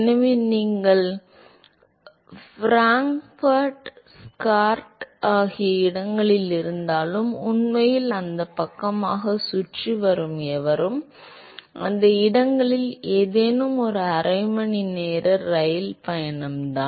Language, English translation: Tamil, So, anyone who is actually going around that side even if you are in Frankfurt, Stuttgart, any of these places it is just a half an hour train ride